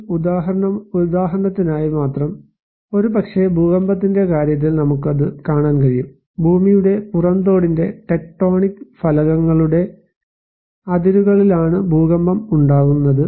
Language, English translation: Malayalam, In case of just for an example, maybe we can see that in case of earthquake; earthquake occurs along the boundaries of the tectonic plates of the earth crust